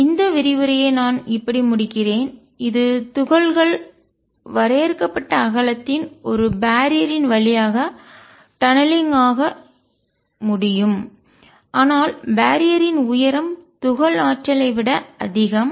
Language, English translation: Tamil, So, I will just conclude this lecture which is a very short one that particles can tunnel through a barrier of finite width, but height greater than the energy of the particle